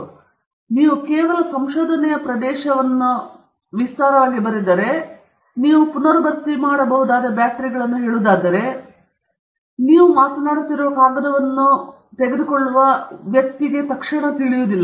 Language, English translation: Kannada, So, if you just write area of research, and you simply say rechargeable batteries, that does not immediately convey to a person picking up the paper what you are talking about